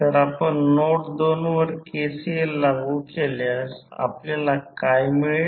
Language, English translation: Marathi, So, if you apply KCL at node 2 what you get